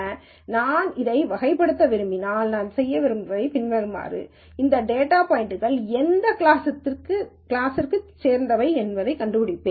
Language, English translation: Tamil, Now if I want to classify this all that I do is the following, I find out what class these data points belong to